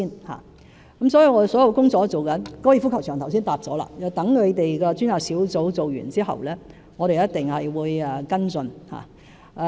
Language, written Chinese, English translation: Cantonese, 我剛才已回答了有關高爾夫球場的問題，待專責小組完成工作後，我們一定會跟進。, I have just answered a question concerning the relevant golf course . Once the Task Force has completed its work we will certainly follow up the issue